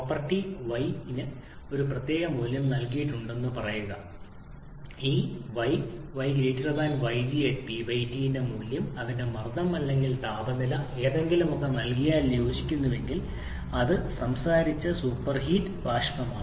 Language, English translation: Malayalam, Say property y is given specific value of the property then if the value of this y is >yg corresponding to either of its pressure or temperature whichever is given then it is super heated vapor that were talking about